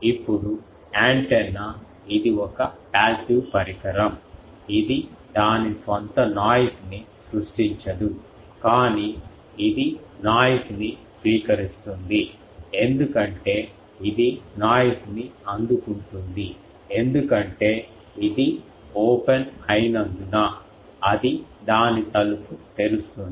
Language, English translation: Telugu, Now, antenna it is a passive device it does not create its own noise, but it is a receiver of noise because it receives noise, because it is an open it is opening its door